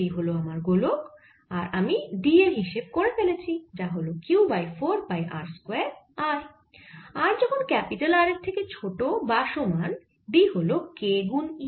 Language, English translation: Bengali, so this d dot d s gives me d times four pi r square is equal to q or d magnitude is q over four pi r square